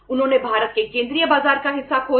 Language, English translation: Hindi, They lost the part of the central market of India